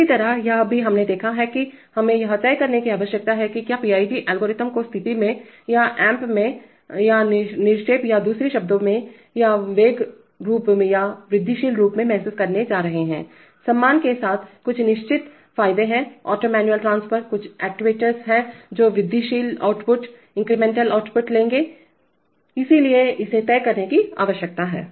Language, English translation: Hindi, Similarly, this also we have seen that, we need to decide whether we are going to realize the PID algorithm in the position or in the app or absolute or in other words or the velocity form or incremental form, there are certain advantages with respect to auto manual transfer, there are certain actuators which will take incremental output, so that needs to be decided